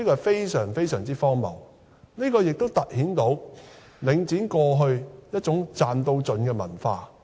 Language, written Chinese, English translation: Cantonese, 這是非常荒謬的，也突顯了領展過去一種"賺到盡"的文化。, This is most ridiculous . It also underscores Link REITs culture of reaping the maximum profit